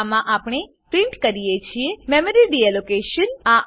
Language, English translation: Gujarati, In this we print Memory Deallocation